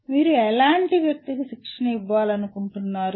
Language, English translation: Telugu, What kind of person you want to train for